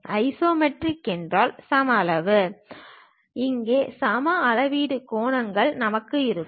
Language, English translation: Tamil, Isometric means equal measure; here equal measure angles we will have it